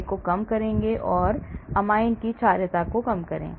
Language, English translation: Hindi, Reduce pKa sorry; reduce pKa, basicity of amine